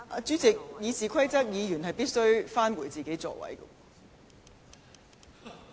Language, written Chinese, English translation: Cantonese, 主席，根據《議事規則》，議員必須返回座位。, President according to the Rules of Procedure RoP he has to return to his seat